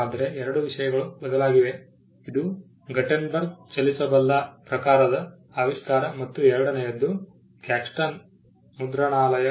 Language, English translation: Kannada, But two things changed, this one was the invention of the movable type by Gutenberg and two the printing press by Caxton